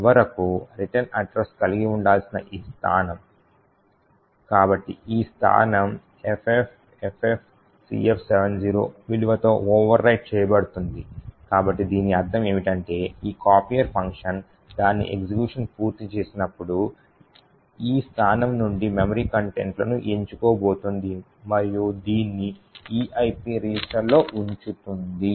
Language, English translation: Telugu, And, finally we see that this location which was supposed to have the return address, so this location is overwritten with the value FFFFCF70, so what this means is that when this copier function completes its execution it is going to pick the memory contents from this location and put this into the EIP register